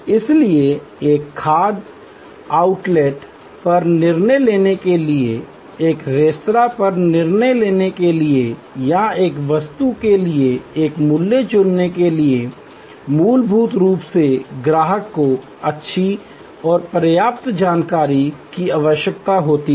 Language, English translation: Hindi, So, to decide on a food outlet, to decide on a restaurant or to choose a price for a commodity, fundamentally the customer needs good and enough sufficient information